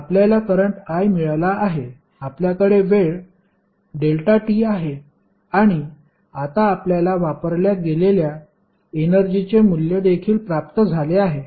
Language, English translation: Marathi, You have got current i you have got time delta t and now you have also got the value of energy which has been consumed